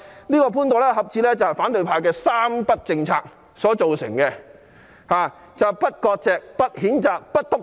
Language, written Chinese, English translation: Cantonese, 這個潘朵拉盒子是反對派的"三不政策"造成的，即不割席、不譴責、不"篤灰"。, This Pandoras box was created as a result of the opposition camps three nos policy namely no severing ties no condemnation no snitching